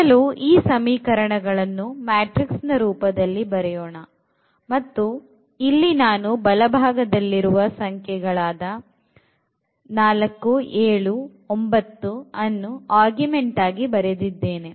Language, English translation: Kannada, First we to write down this equation in this matrix form where we also augment this right hand side of the equations 4, 7, 9